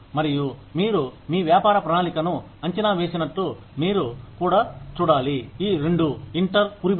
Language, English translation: Telugu, And, just like you evaluate your business plan, you also need to see, how these two, inter twine